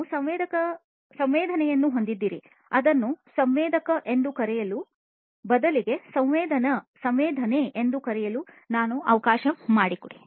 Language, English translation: Kannada, You have sensing, rather let me call it not sensor, but let me call it sensing